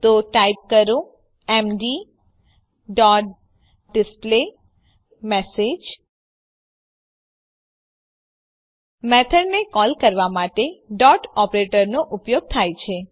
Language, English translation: Gujarati, So type md dot displayMessage The Dot operator is used to call the method